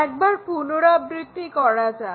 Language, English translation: Bengali, Let us repeat it once again